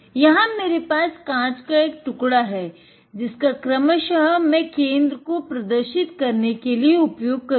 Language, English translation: Hindi, I have a piece of glass here that I can use to demonstrate the center that respectively